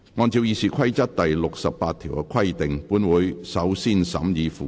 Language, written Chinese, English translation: Cantonese, 按照《議事規則》第68條的規定，本會首先審議附表。, In accordance with Rule 68 of the Rules of Procedure committee will first consider the Schedule